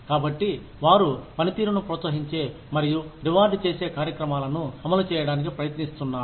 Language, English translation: Telugu, So, they are also trying to implement programs, that encourage and reward performance